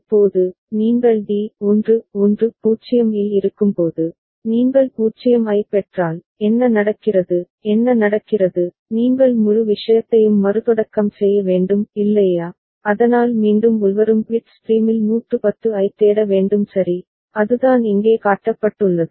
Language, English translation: Tamil, Now, when you are at d 1 1 0, then if you receive a 0, what happens ok, you have to restart the entire thing is not it, so that means again you need to look for 110 in that incoming bit stream ok, so that is what has been shown here